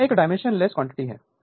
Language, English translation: Hindi, So, it is a dimensionless quantity